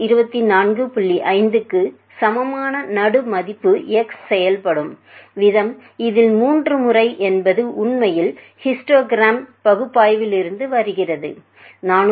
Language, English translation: Tamil, 5 would be operating is for the 3 times in this actually comes from the histogram analysis, 434